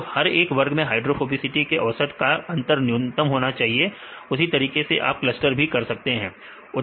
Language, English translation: Hindi, So, that each group the average difference between the hydrophobicity values are the minimum right likewise you can cluster